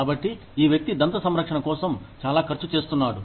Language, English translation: Telugu, So, this person is spending, so much on dental care